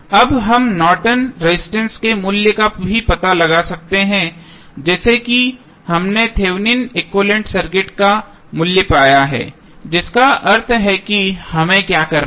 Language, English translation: Hindi, Now, we can also find out the value of Norton's resistance the same way as we found the value of Thevenin equivalent circuit that means what we have to do